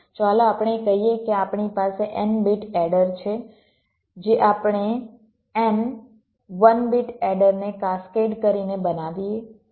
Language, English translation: Gujarati, let say we have an n bit adder, which where constructing by cascading n one bit adders